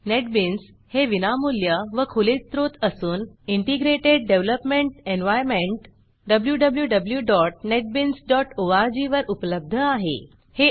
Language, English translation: Marathi, Netbeans is a free and open source Integrated Developement Environment available at www.netbeans.org It allows for integration of various components